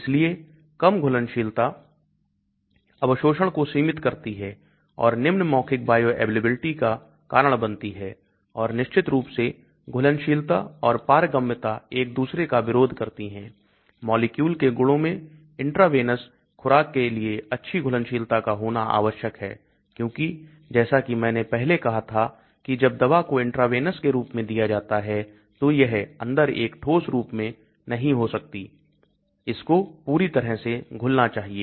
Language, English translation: Hindi, So low solubility limits absorption and cause low oral bioavailability and of course solubility and permeability are opposed to each other, in molecular properties and good solubility is essential for intravenous dosing because as I said before when the drug is injected as an intravenous it cannot be in a solid form